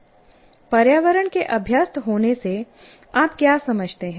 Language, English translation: Hindi, What do we mean by accustoming to the environment